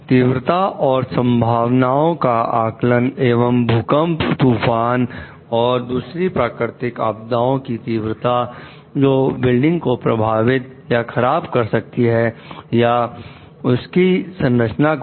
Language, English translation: Hindi, An estimate of the likelihood and severity of the earthquakes, hurricanes, and other natural threats; so, which may disturb the building or the structure